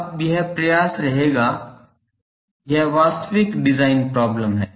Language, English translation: Hindi, So, that will now attempt, that is the actual design problem